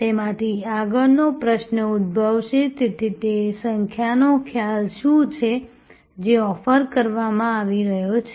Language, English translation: Gujarati, The next question that will emerge out of that therefore, what is the service concept, that is being offered